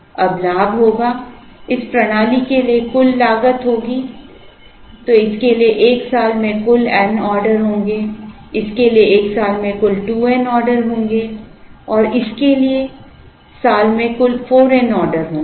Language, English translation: Hindi, So, totally there will be n orders in a year for this, there will be 2 n orders in a year for this and there will be 4 n orders in the year for this